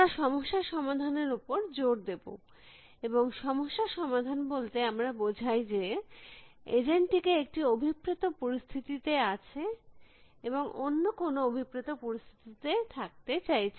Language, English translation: Bengali, We will focus on problem solving and by problem solving we mean that, the agent is in a desired, is in some situation and wants to be in some desired situation